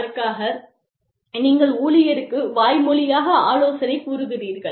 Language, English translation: Tamil, And then, you verbally, counsel the employee